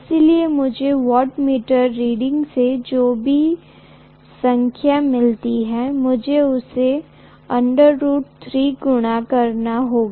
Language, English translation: Hindi, So whatever I get from the wattmeter reading, I have to multiply that by root 3